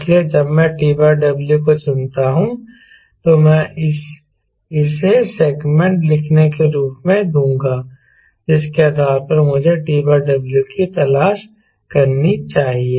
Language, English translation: Hindi, so when i select t by w, i will give this as i write segment based on which i should look for t by w